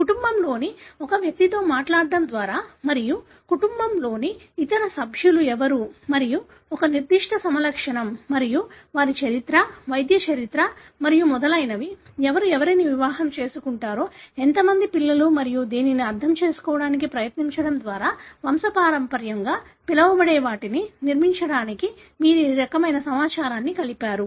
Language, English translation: Telugu, By talking to an individual of a family and trying to understand who are the other members of the family and who are the members who have a particular phenotype and their history, medical history and so on, who marries to whom, how many children and this kind of information you put together to construct what is called as a pedigree